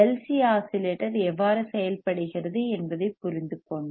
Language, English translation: Tamil, Now we have seen LC oscillator and we understood that how LC oscillator works,